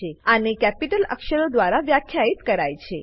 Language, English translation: Gujarati, They are defined by Capital letters